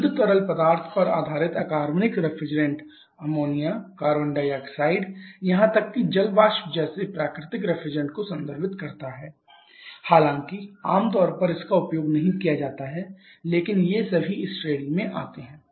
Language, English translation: Hindi, Pure fluid based you know getting reference refers to the natural if the underlying ammonia carbon dioxide even water vapour though that is not very commonly used but they all come under this category